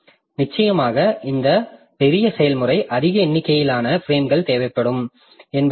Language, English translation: Tamil, So that in that case of course this large process means that would, it will need more number of frames